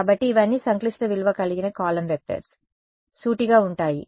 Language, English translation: Telugu, So, all of these are complex valued column vectors, straightforward